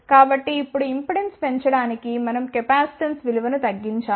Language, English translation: Telugu, So now, to increase the impedance we have to decrease the value of the capacitance